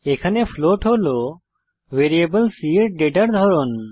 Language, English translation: Bengali, Here, float is a data type of variable c